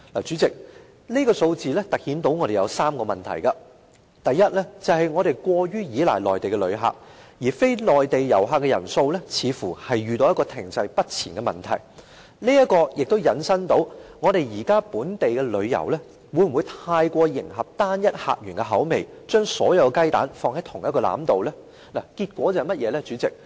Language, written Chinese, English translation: Cantonese, 主席，這數字突顯3個問題，第一是我們過於依賴內地旅客，而非內地旅客的人數似乎遇到停滯不前的問題，這也引申出現時本地旅遊會否過於迎合單一客源的口味，將所有雞蛋放在同一個籃子裏呢？, President the figures highlighted three problems . Firstly we are overly relying on Mainland visitors and the number of non - Mainland visitors seems to remain stagnant . This has also brings forth the question of whether local tourism are putting all eggs in one basket by overly catering to a single source market